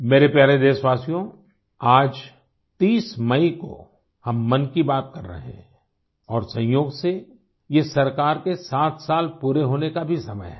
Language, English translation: Hindi, My dear countrymen, today on 30th May we are having 'Mann Ki Baat' and incidentally it also marks the completion of 7 years of the government